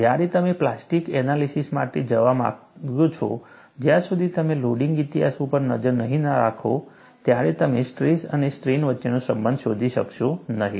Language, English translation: Gujarati, When you want to go for plastic analysis, unless you keep track of the loading history, you will not be able to find out a relationship between stress and strain